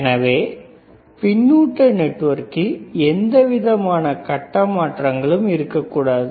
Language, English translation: Tamil, So, feedback network should not have any kind of phase shift right,